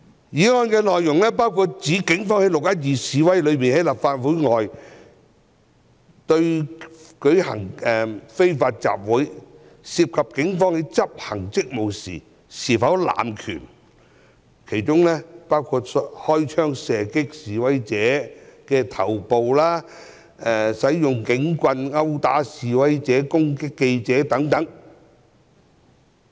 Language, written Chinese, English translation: Cantonese, 議案內容包括指警方在"六一二"在立法會外舉行的非法集會中，在執行職務時有否濫權，包括開槍射擊示威者頭部、使用警棍圍毆示威者和攻擊記者等。, The contents of the motions include inquiring into the alleged abuse of power of the Police in executing their duties in the unlawful assembly held outside the Complex on 12 June including shooting the heads of protesters group beating of protesters with batons assaulting reporters etc